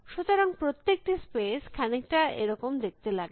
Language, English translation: Bengali, So, every space should looks something like this